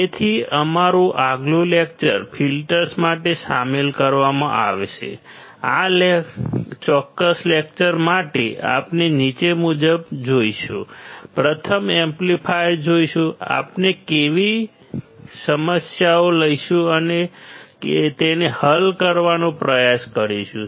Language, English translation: Gujarati, So, filters would be included our next lecture, for this particular lecture we will see the following, firstly amplifiers, we will take a few problems and we will try to solve it